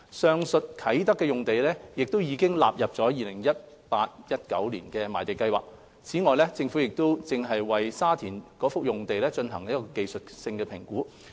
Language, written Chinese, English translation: Cantonese, 上述啟德用地已納入 2018-2019 年度賣地計劃，此外，政府正為沙田用地進行技術性評估。, The Kai Tak site has been included in the 2018 - 2019 Land Sale Programme while a technical assessment by the Government is underway for the Sha Tin site